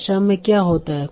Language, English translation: Hindi, So what happens in language